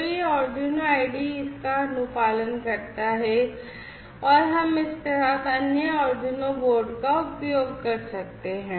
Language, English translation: Hindi, So, this Arduino IDE it is compliant with and we can use other Arduino boards along with this one